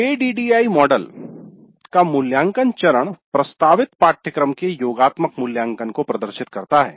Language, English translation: Hindi, The evaluate phase of the ADE model refers to summative evaluation of the course offered